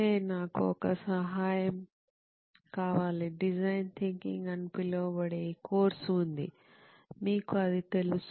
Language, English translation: Telugu, Hey, I need a favour, dude, there is this course called design thinking, you know of that